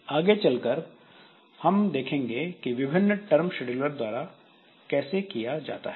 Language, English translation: Hindi, So, we'll see how this is done by different schedulers and all